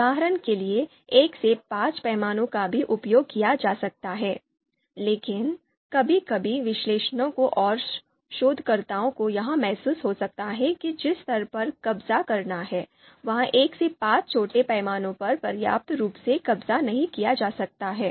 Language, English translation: Hindi, For example, 1 to 5 scale can also be used, but sometimes analysts and researchers might feel that the level of detail that is to be captured might not be you know you know adequately might not be adequately captured by this 1 to 5 smaller scale, so probably they will need a higher scale 1 to 9 scale